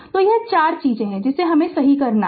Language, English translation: Hindi, So, these are the 4 thing you have to make it right